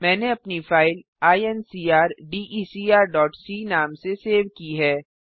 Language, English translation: Hindi, I have saved my file as incrdecr.c